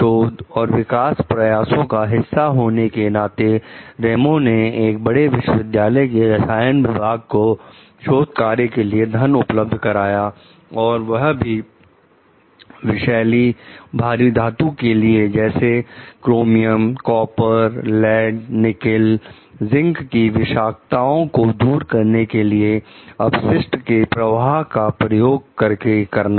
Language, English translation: Hindi, As a part of a research and development effort, Ramos offers to provide funding to the chemical department of a major university for research on the removal of poisonous heavy metals like chromium, copper, lead, nickel, zinc from waste streams